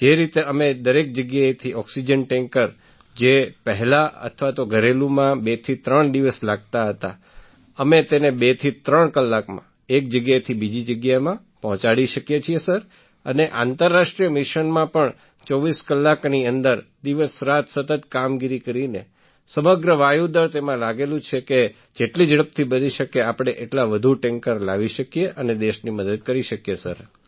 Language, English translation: Gujarati, We have completed nearly 160 international missions; due to which, from all places, oxygen tankers from domestic destinations which earlier took two to three days, now we can deliver from one place to another in two to three hours; in international missions too within 24 hours by doing continuous round the clock operations… Entire Air Force is engaged in this so that we can help the country by bringing in as many tankers as soon as possible